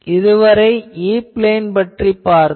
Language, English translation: Tamil, So, this is E plane